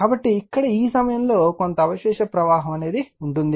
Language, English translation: Telugu, So, here at this point, it will come some residual flux will be there